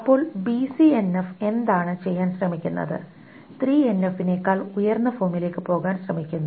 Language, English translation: Malayalam, So what does BCNF tries to do is to BCNF tries to go to a higher form than 3NF